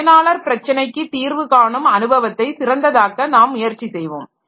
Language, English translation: Tamil, So, so we will try to make the problem solving experience of the user better